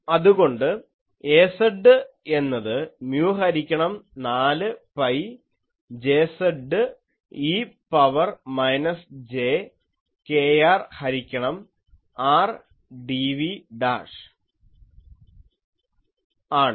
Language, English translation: Malayalam, So, we saw that Az gives mu by 4 pi Jz e to the power minus jkr by r dv dashed ok